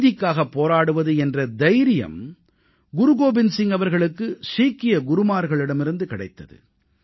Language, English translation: Tamil, Guru Gobind Singh ji had inherited courage to fight for justice from the legacy of Sikh Gurus